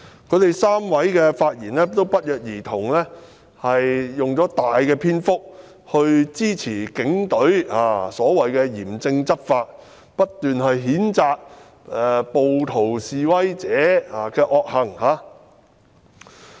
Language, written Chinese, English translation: Cantonese, 他們不約而同地在發言中用上很大篇幅來支持警隊所謂的嚴正執法，不斷譴責暴徒和示威者。, Coincidentally they spoke at great length in support of the Police in strictly enforcing the law so to speak while continuously condemning the rioters and protesters